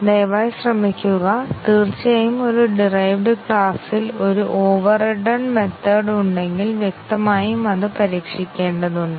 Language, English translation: Malayalam, Please try and of course, if there is an overridden method in a derived class then obviously, the overridden method has to be tested